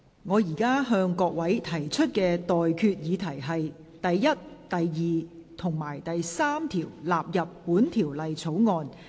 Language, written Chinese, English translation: Cantonese, 我現在向各位提出的待決議題是：第1、2及3條納入本條例草案。, I now put the question to you and that is That clauses 1 2 and 3 stand part of the Bill